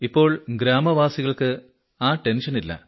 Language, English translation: Malayalam, Now there is no tension in the whole village